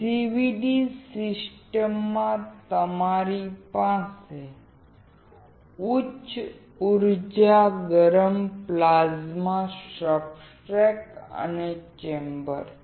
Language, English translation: Gujarati, In a CVD system you have a high energy heated plasma, substrate, and chamber